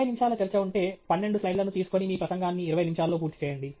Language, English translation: Telugu, If there’s a 20 minute talk, may be take 12 slides and complete your talk in about 20 minutes